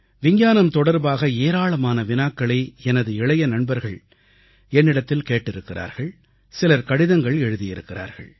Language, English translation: Tamil, My young friends have asked me many questions related to Science; they keep writing on quite a few points